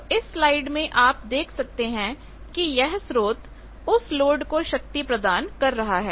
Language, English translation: Hindi, So, in the slide you can see that the source it is delivering power to the load